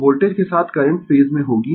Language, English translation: Hindi, So, current will be in phase with the voltage